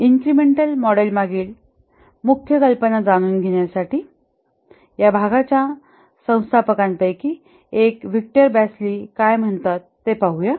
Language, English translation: Marathi, To get the main idea behind the incremental model, let's see what Victor Basilie, one of the founders of this area has to say